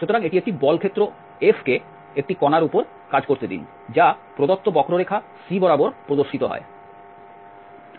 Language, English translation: Bengali, So, let a force field F act on a particle which is displayed along a given curve C